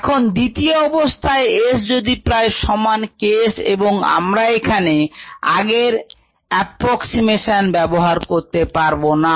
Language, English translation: Bengali, now is the second condition: if s is is approximately equal to k s, then we cannot use the above approximation